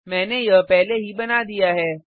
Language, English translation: Hindi, I have already created it